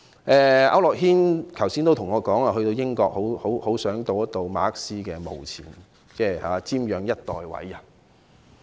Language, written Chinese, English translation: Cantonese, 區諾軒議員剛才跟我說，到英國的時候很想到馬克思的墓前，瞻仰一代偉人。, Mr AU Nok - hin has told me just now that during his visit to the United Kingdom he felt like paying tribute to Karl MARX one of the greatest men in history before his grave